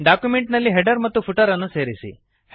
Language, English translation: Kannada, Add a header and footer in the document